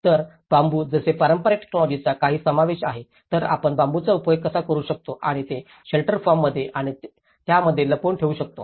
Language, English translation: Marathi, So, even some incorporation of traditional technology like bamboo how we can make use of bamboo and embed that in the shelter forms and thatch